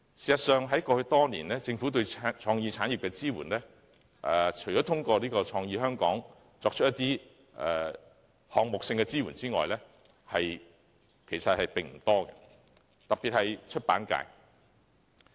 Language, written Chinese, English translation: Cantonese, 事實上，過去多年來，除了透過"創意香港"為一些項目提供支援外，政府對創意產業的支援其實並不多，出版界尤其受到忽視。, Actually in the past six years apart from the support provided for some projects through Create Hong Kong the Governments support for the creative industries is actually negligible . In particular the publication industry is neglected